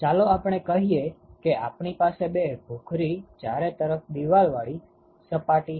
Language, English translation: Gujarati, So, let us say we have a two gray surface enclosure